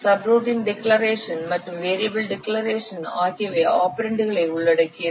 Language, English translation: Tamil, So subroutine declarations and variable declarations they comprise the operands